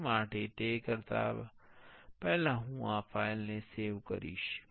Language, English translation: Gujarati, For that, before doing that I will save this file